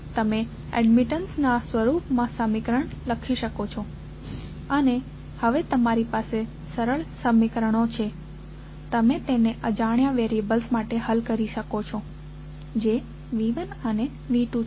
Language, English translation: Gujarati, You can simply write the equation in the form of admittances and the now you have simpler equations you can solve it for unknown variables which are V 1 and V 2